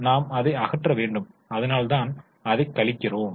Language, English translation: Tamil, So, we need to remove it, that's why we deduct it